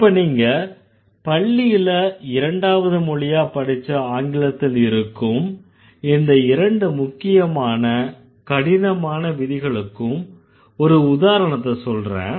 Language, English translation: Tamil, I'll just give you an example of two very stern, rigid and strict rules that most of you must have studied when you learned English as a second language